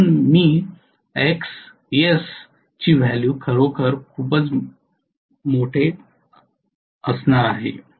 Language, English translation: Marathi, So I am going to have Xs value to be really really large